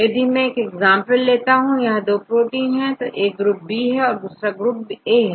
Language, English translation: Hindi, Now, I will show an example here this is I got 2 proteins, one is the from group B this is group B here, this is from group A